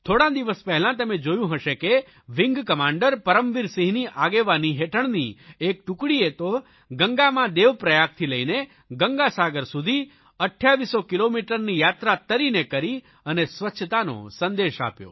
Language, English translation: Gujarati, It might have come to your notice some time ago that under the leadership of Wing Commander Param Veer Singh, a team covered a distance of 2800 kilometres by swimming in Ganga from Dev Prayag to Ganga Sagar to spread the message of cleanliness